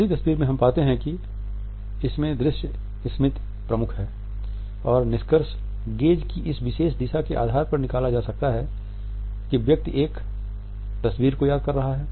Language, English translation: Hindi, In the first photograph we find that it is the visual memory which is dominant and this can be found on the basis of this particular direction of a gaze, the person is recalling a picture